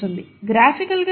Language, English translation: Telugu, What does this mean graphically